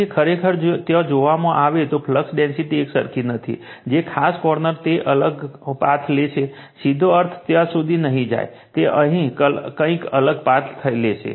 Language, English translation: Gujarati, So, it is actually if you look into that, the flux density is not uniform right, the particular the corner it will taking some different path, not directly going from this to that right, it is taking some different path